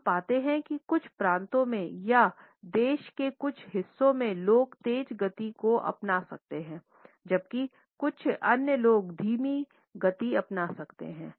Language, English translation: Hindi, We find that in certain provinces or in certain parts of the country people may adopt a faster pace, whereas in some others people may adopt a slower pace